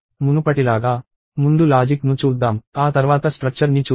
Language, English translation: Telugu, Let us as before, look at the logic first and then we look at the structure itself